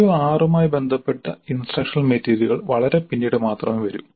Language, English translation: Malayalam, The instructional material related to CO6 comes in much later only